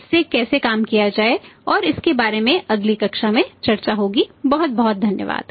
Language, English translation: Hindi, How to work it out and furthermore discussions will be talking in the next class, thank you very much